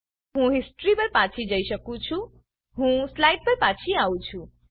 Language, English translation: Gujarati, I can go back to the history I have returned to the slide